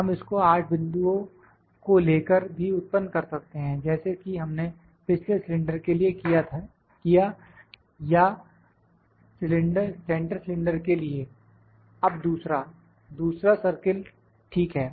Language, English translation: Hindi, We can also produce it by taking 8 points in a similar fashion as we did for the previous cylinder or the centre cylinder now second; second circle, ok